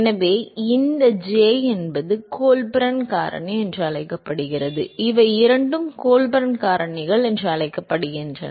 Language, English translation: Tamil, So, this j is called the, these are called the Colburn factor, these two are called the Colburn factors